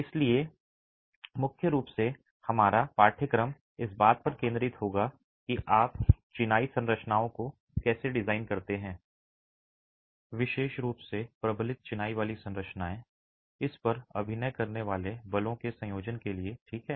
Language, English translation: Hindi, So predominantly our course will focus on how do you design masonry structures, particularly reinforced masonry structures for a combination of forces acting on it